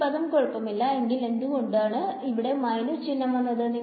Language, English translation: Malayalam, So, this term is fine why is there a minus sign over here